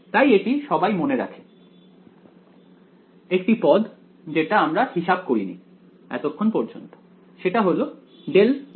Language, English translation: Bengali, So, this one everyone remembers the one term that we did not calculate so, far is what is grad g ok